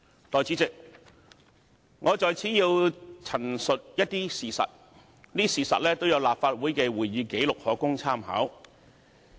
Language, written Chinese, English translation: Cantonese, 代理主席，我在此要陳述一些事實，這些事實都有立法會的會議紀錄可供參考。, Deputy President I would like to give an account of some facts all of which can be found in the Records of Proceedings of the Legislative Council